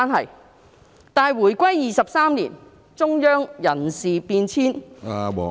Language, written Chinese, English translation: Cantonese, 可是，回歸23年，中央人事變遷......, However over the past 23 years since the reunification there have been personnel changes in the Central Government